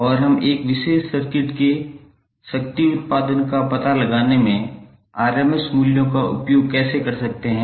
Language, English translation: Hindi, And how we can use these values in finding out the power output of a particular circuit